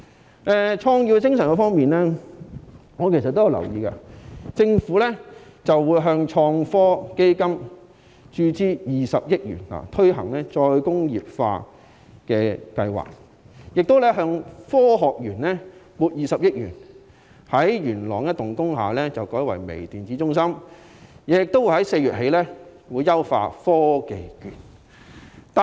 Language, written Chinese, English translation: Cantonese, 談到創業精神，我留意到政府會向創新及科技基金注資20億元，推行再工業化計劃，亦向香港科學園撥款20億元，把元朗一幢工廈改建為微電子中心，並在4月起優化科技券計劃。, On the subject of entrepreneurship I note that the Government will inject 2 billion into the Innovation and Technology Fund for the promotion of re - industrialization as well as allocating 2 billion to the Hong Kong Science and Technology Parks Corporation for converting an industrial building in Yuen Long into a Microelectronics Centre . In addition the Government will enhance the Technology Voucher Programme from April onwards